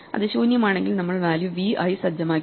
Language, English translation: Malayalam, If it is empty, then we just set the value to v